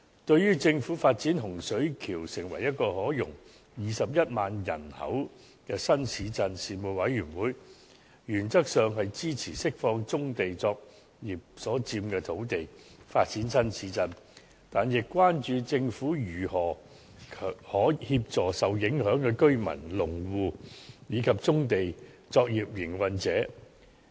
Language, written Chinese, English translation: Cantonese, 對於政府發展洪水橋成為一個可容21萬人口的新市鎮，事務委員會原則上支持釋放棕地作業所佔的土地作發展新市鎮之用，但亦關注政府如何協助受影響的居民、農戶，以及棕地作業營運者。, In relation to the Governments plan to develop Hung Shui Kiu into a new town to accommodate a population of 210 000 the Panel supported in principle to release the land occupied by brownfield operations for the new town development . However the Panel also expressed concern over how the Government would assist the affected residents farmers and brownfield operators